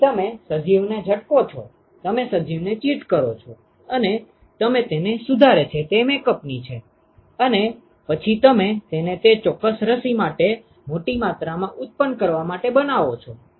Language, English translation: Gujarati, So, you tweak the organism you cheat the organism and you modify it is makeup and then you make it to produce large quantities of that particular vaccine